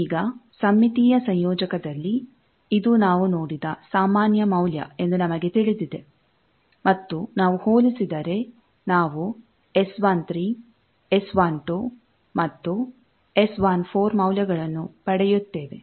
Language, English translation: Kannada, Now, in a symmetrical coupler, we know this is the generic value that we have seen and if we compare then we get that the S 13, S 12 and S 14 values once we have that